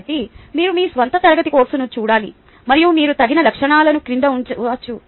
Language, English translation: Telugu, ok, so you have to see your own class composition and you can put the appropriate ah attributes below